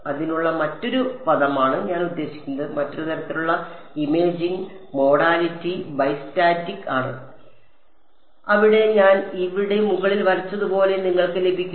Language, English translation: Malayalam, The other term for it is I mean the other kind of imaging modality is bi static where you can have like I drew above over here